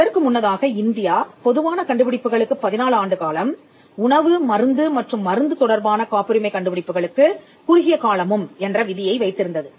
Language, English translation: Tamil, India earlier had a 14 year period for inventions in general and a shorter period for patents inventions pertaining to food drug and medicine